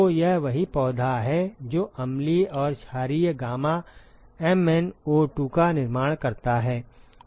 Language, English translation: Hindi, So, it is the same plant which manufactures the acidic and the alkaline gamma MnO2